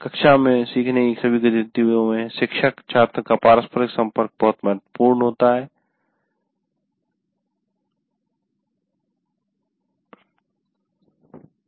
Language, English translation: Hindi, And teacher student interaction plays a very important role in all learning activities in the classroom